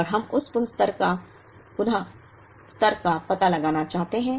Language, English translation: Hindi, And we want to find out that reorder level